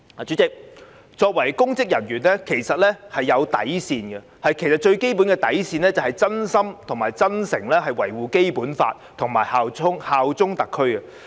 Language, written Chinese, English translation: Cantonese, 主席，公職人員應該設有底線，而最基本的底線是真心及真誠擁護《基本法》及效忠特區。, President there should be a bottom line for public officers and the basic bottom line should be genuinely and sincerely upholding the Basic Law and bearing allegiance to SAR